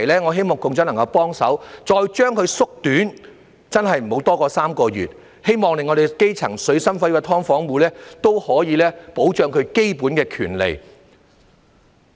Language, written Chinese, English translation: Cantonese, 我希望局長能夠幫忙，把這個真空期再縮短，真的不要多過3個月，希望可以保障基層、水深火熱的"劏房戶"的基本權利。, I hope the Secretary may help shorten the vacuum period―and to be serious please just make it no longer than three months . I hope this can protect the fundamental rights of the grass - roots SDU tenants who are now in dire straits